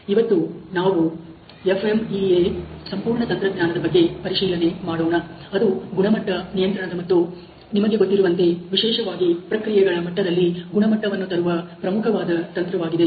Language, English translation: Kannada, Today, we are going to investigate this whole technique FMEA, which is very important technique for quality control and you know quality implementation particularly at the processes level